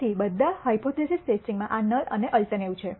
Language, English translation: Gujarati, So, all hypothesis testing has this null and alternative